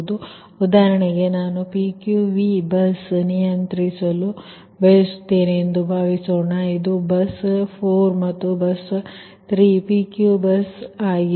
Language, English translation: Kannada, so, for example, suppose i want to control this is your, this is your pq v bus, this bus code is a pqv bus and bus three is your pq bus